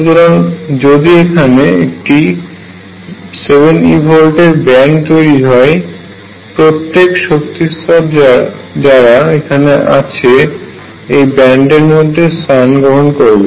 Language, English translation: Bengali, So, this is a band of seven electron volts which is formed all the energy levels that were there are going to fall in this